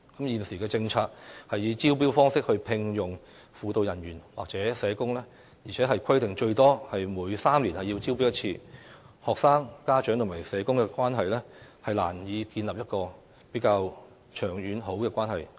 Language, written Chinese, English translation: Cantonese, 現時的政策是以招標方式聘用輔導人員或社工，而且規定最多每3年要招標1次，學生、家長與社工之間難以建立一個比較長遠和良好的關係。, Under the current policy of hiring guidance personnel or social workers through tendering coupled with the requirement of conducting one tendering exercise every three years at most it is difficult for students and parents to build a good and relatively long - term relationship with social workers